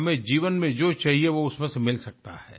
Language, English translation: Hindi, We can derive from them whatever we need in life